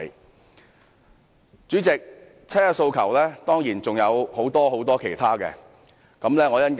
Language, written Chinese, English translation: Cantonese, 代理主席，七一遊行當然還有很多其他訴求。, Deputy President people participating in the 1 July march certainly have many other aspirations